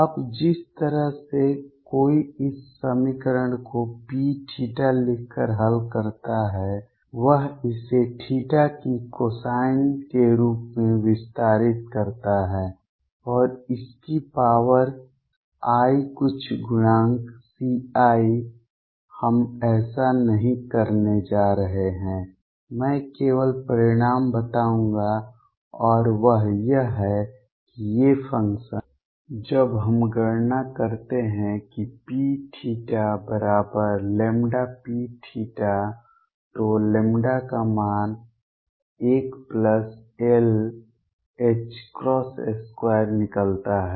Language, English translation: Hindi, Now, the way one solves this equation is by writing P theta expands it in terms of cosine of theta and its powers i some coefficient C i, we are not going to do that I will just state the result and that is that these functions when we calculate P theta equals lambda P theta lambda value comes out to be l plus 1 h cross square